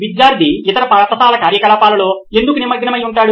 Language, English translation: Telugu, Why would student be engaged in other school activities